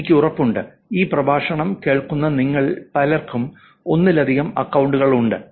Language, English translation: Malayalam, I am sure many of you are listening to this lecture also have multiple accounts